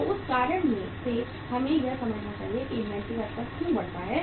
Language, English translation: Hindi, So for that reason we should understand why the inventory level goes up